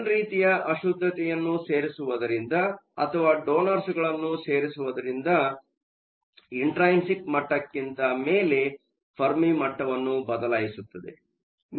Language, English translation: Kannada, Adding an n type impurity, so or adding a donor shifts, the Fermi level above the intrinsic level